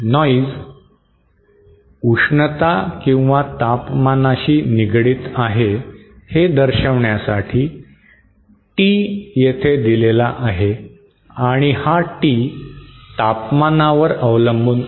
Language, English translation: Marathi, Now this T that is there just to signify that noise is associated with heat or the temperature and it is a function of temperature